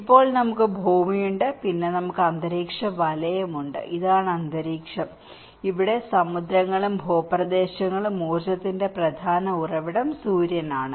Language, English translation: Malayalam, Now, we have the earth, and then we have the atmosphere belt, this is the atmosphere, and here this oceans, landmasses and the main source of the energy is the Sun